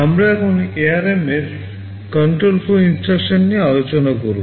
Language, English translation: Bengali, We now discuss the control flow instructions that are available in ARM